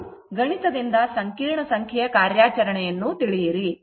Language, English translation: Kannada, You know the operation of complex number, right